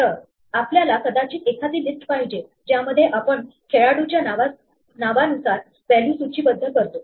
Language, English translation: Marathi, So, we might want a list in which we index the values by the name of a player